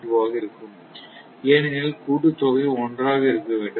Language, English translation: Tamil, 2, because summation should be one